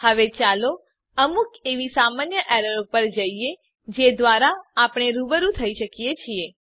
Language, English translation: Gujarati, Now let us move on to some common errors which we can come across